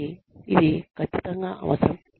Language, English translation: Telugu, So, that is absolutely essential